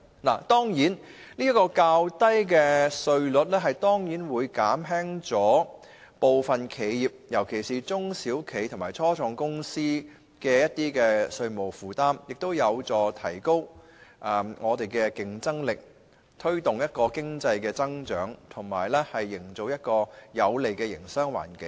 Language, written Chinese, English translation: Cantonese, 較低利得稅稅率當然會減輕部分企業，尤其是中小企及初創公司的稅務負擔，有助提高本港的競爭力，推動經濟增長，營造有利的營商環境。, Lower profits tax rates will certainly alleviate the tax burden on certain enterprises particularly small and medium enterprises SMEs and start - up companies enhance the competitiveness of Hong Kong promote economic growth as well as create a favourable business environment